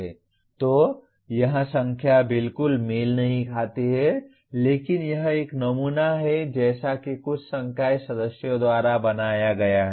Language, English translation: Hindi, So the numbers here do not exactly match but this is one sample as created by some faculty members